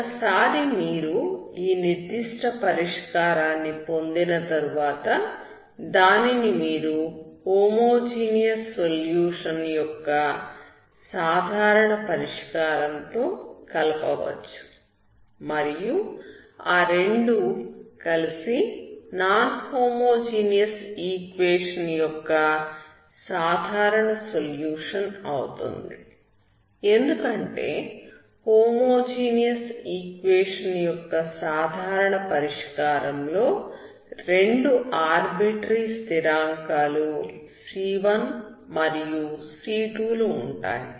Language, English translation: Telugu, Once you get this particular solution, you can combine with the general solution of the homogeneous equation and that together will be the general solution of the non homogeneous equation because already two arbitrary constant c1 and c2 in the homogeneous general solution will also be there